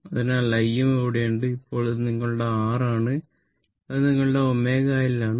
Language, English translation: Malayalam, So, I m is here, then this is your R, and this is your omega L